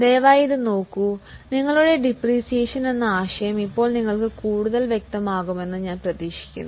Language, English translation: Malayalam, Please have a look at it and I hope you are the concepts of depreciation are more clear to you now